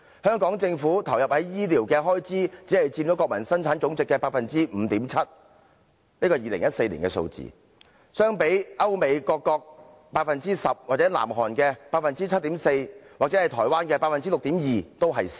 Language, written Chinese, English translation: Cantonese, 香港政府投放在醫療的開支只佔國民生產總值的 5.7%， 這是2014年的數字，較歐美各國的 10%、南韓的 7.4%， 以及台灣的 6.2% 為少。, The expenditure committed to healthcare by the Hong Kong Government only accounted for 5.7 % of our Gross Domestic Product the figure for 2014 which was lower than the percentages of European countries and the United States being at 10 % South Korea being at 7.4 % and Taiwan being at 6.2 % in comparison